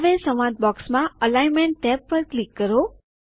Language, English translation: Gujarati, Now click on the Alignment tab in the dialog box